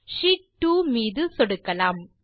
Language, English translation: Tamil, Lets click on Sheet2